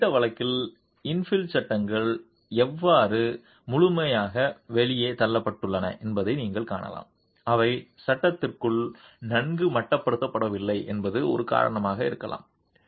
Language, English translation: Tamil, In this particular case you can see how infill panels have been completely pushed out that they have not been well confined within the frame could be one of the reasons